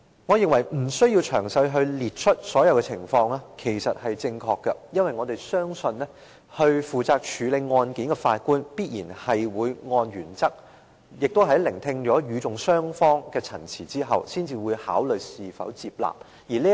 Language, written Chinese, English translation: Cantonese, 我認為不需要詳細列出所有的情況，因為我們相信，負責處理案件的法官必然會按原則，並在聆聽與訟雙方的陳詞後，才考慮是否接納為呈堂證供。, I do not think it is necessary to list all the applicable circumstances as we trust the judge responsible for the case will surely act in accordance with principle and listen to the statements made by both sides of the proceedings before making a decision on the admittance of the apology as evidence